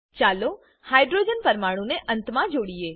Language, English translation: Gujarati, Let us attach hydrogen atoms at the ends